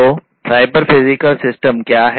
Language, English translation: Hindi, So, what is cyber physical system